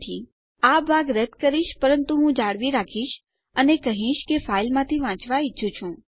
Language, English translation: Gujarati, So Ill delete this part but Ill retain this and now Ill say I want to read from the file